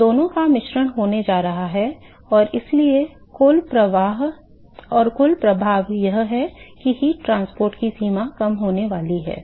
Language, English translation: Hindi, So, there is going to be a mixture of both and so, the net effect is that the extent of heat transport is going to reduce